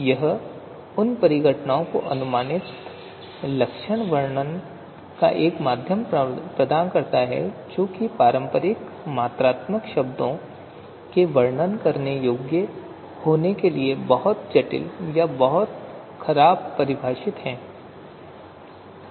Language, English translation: Hindi, So it provides a mean of approximate characterization of phenomena which are too complex or too ill defined to be amenable to description in conventional quantitative terms